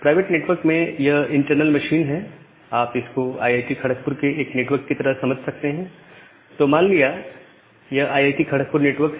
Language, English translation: Hindi, So, this is an internal machine inside the private network, you can just think of it as a IIT KGP network, say this is IIT KGP network